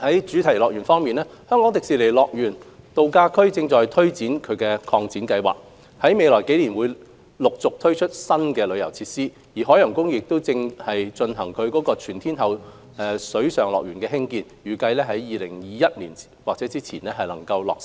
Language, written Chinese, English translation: Cantonese, 主題樂園方面，香港迪士尼樂園度假區正推行擴展計劃，於未來幾年將陸續推出新遊樂設施，而海洋公園正在興建全天候水上樂園，預計於2021年或之前落成。, In respect of theme parks the Hong Kong Disneyland Resort is taking forward its expansion and development plan with new attractions to be rolled out in the next few years . The Ocean Park is taking forward its all - weather water park project which is expected to be completed by 2021